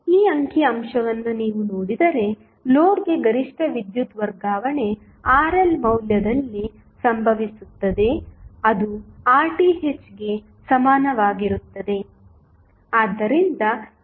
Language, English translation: Kannada, If you see this figure, the maximum power transfer to the load happens at the value of Rl which is equal to Rth